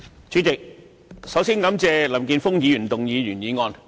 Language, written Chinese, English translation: Cantonese, 主席，首先，感謝林健鋒議員動議原議案。, President first of all let me thank Mr Jeffrey LAM for moving the original motion